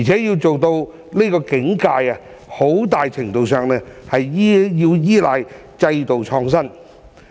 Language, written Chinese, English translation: Cantonese, 要做到這境界，在很大程度上需要依賴制度創新。, To achieve this we need to rely on institutional innovation to a large extent